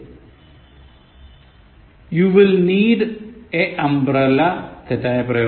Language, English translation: Malayalam, You will need a umbrella, wrong form